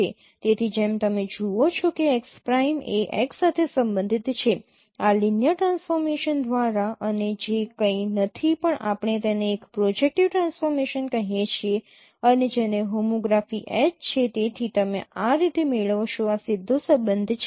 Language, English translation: Gujarati, So as you see x prime is related with x by this linear transformation and which is nothing but we call it a projective transformation and which is what is homography H